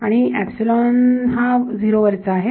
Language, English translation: Marathi, That is 0